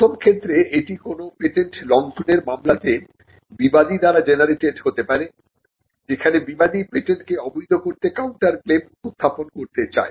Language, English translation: Bengali, One, it could be generated by a defendant in a patent infringement suit; where the defendant wants to raise a counterclaim to invalidate the patent